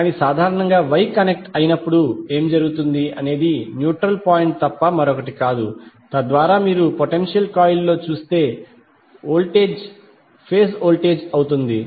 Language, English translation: Telugu, But generally what happens in case of Y connected the o will be nothing but the neutral point so that the voltage which you seeacross the potential coil will be the phase voltage